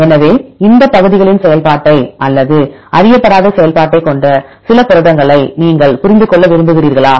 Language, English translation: Tamil, So, you want to understand the function of these portions or some proteins with unknown function what to do guess